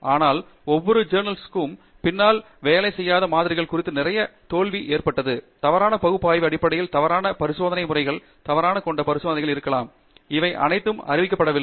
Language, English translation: Tamil, But behind each paper there is a lot of failure in terms of samples that didn’t work, in terms of analysis that was wrong, may be experiments that were wrong, experimental setups that were wrong, all of which is not getting reported